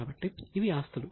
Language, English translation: Telugu, So, these are assets